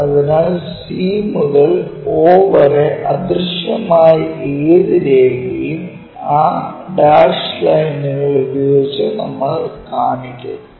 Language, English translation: Malayalam, So, that c all the way from o to c whatever invisible line we show it by that dash lights